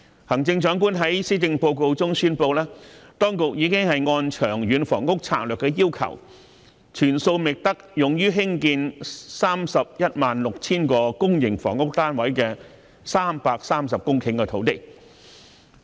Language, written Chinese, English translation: Cantonese, 行政長官在施政報告中宣布，當局已按《長遠房屋策略》的要求，全數覓得用於興建 316,000 個公營房屋單位的330公頃土地。, The Chief Executive has announced in the Policy Address that the authorities as required by the long - term housing strategy identified all of the 330 hectares of land used for providing 316 000 public housing units